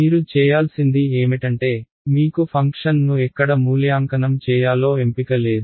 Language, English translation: Telugu, The price that you have to pay is that you do not have choice on where to evaluate the function